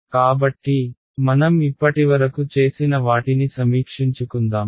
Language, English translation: Telugu, And so, let us just review what we have done so far